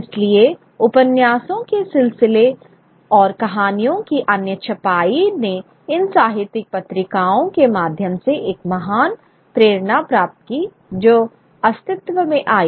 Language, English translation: Hindi, So, the serialization of novels and other printing of stories gained a great impetus through these literary magazines which came into being